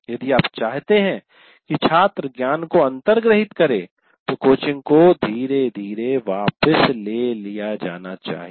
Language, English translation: Hindi, And then if you want the student to completely internalize that, the coaching should be gradually withdrawn